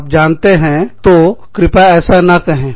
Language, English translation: Hindi, You know, so, please, do not say this